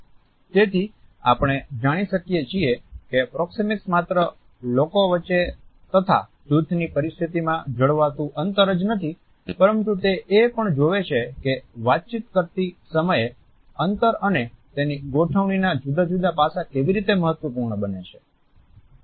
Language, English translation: Gujarati, So, we find that proxemics does not only looks at the distances which people maintain between and amongst themselves in dyadic and team situations, but it also looks at how different aspects related with the space and its arrangements are significant in communication of certain messages